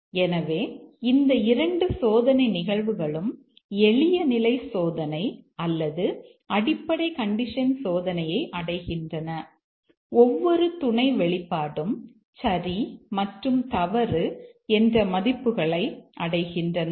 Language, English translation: Tamil, So, these two test cases will achieve the simple condition testing or the basic condition testing where each sub expression is made into true and false values